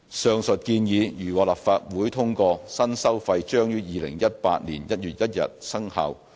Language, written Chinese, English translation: Cantonese, 上述建議如獲立法會通過，新收費將於2018年1月1日生效。, Subject to the Legislative Councils approval of the above proposal the new fees will come into effect on 1 January 2018